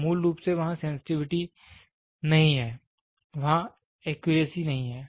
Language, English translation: Hindi, So, basically, the sensitivity is not there, the accuracy is not there